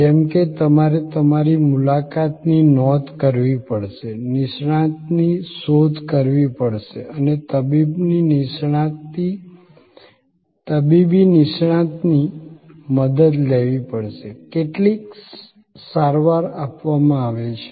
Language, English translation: Gujarati, Like you have to book your appointment, search out a specialist and seek the help of a medical specialist, some treatment is given